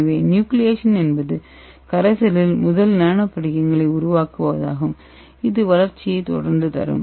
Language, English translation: Tamil, So nucleation is formation of first nano crystals in the solution followed by the growth